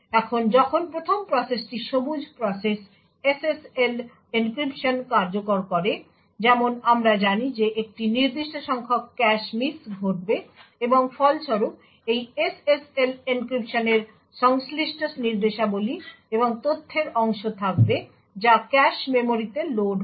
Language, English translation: Bengali, Now, when the process one the green process executes the SSL encryption, as we know that there would be a certain number of cache misses that occurs, and as a result there will be parts of the instruction and data corresponding to this SSL encryption, which gets loaded into the cache memory